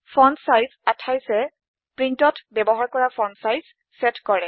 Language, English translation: Assamese, fontsize 28 sets the font size used by print